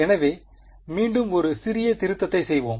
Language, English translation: Tamil, So again we will do a little bit of revision